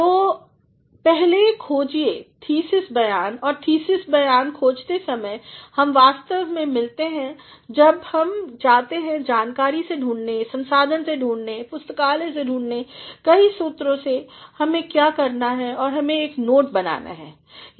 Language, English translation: Hindi, So, first find the thesis statement and while finding the thesis statement, one actually comes across, when one goes to make a search from the data, from the resources, from the library, from several sources what one has to do is one has to make a note this note